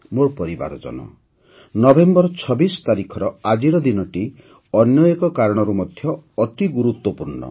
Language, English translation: Odia, My family members, this day, the 26th of November is extremely significant on one more account